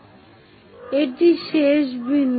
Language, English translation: Bengali, So, the end point is this